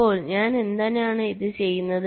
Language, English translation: Malayalam, so why i do this